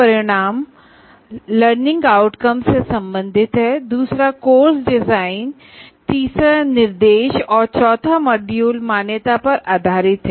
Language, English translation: Hindi, The second one is course design, third one is instruction, and fourth module is accreditation